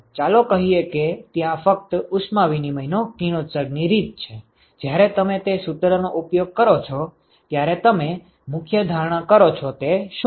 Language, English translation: Gujarati, Let us say there is only radiation mode of heat exchanging, what is the key assumption that you make when you use that formula